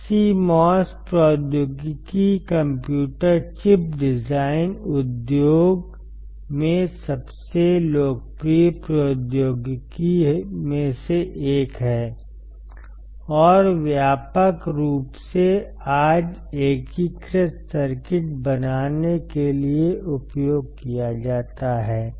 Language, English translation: Hindi, CMOS technology is one of the most popular technology in the computer chip design industry, and broadly used today to form integrated circuits